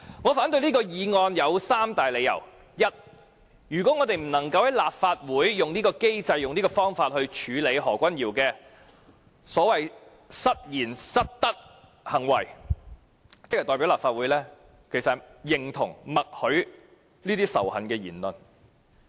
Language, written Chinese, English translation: Cantonese, 我反對議案的理由如下：第一，如我們不能在立法會以此機制處理何君堯議員的失言、失德行為，便代表立法會認同和默許這種仇恨言論。, The reasons why I object to the motion are as follows First of all if we cannot deal with Dr Junius HOs slip of tongue and unethical behaviour under this mechanism in the Legislative Council it will imply that this Council agrees and gives tacit consent to the use of hate speech